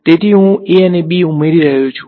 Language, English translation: Gujarati, So, I am adding a and b right